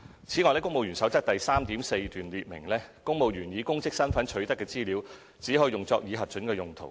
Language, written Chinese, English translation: Cantonese, 此外，《公務員守則》第 3.4 段列明，公務員以公職身份取得的資料只可用作已核准的用途。, Besides it is set out in paragraph 3.4 of the Civil Service Code that civil servants shall use information gained by virtue of their official position for authorized purposes only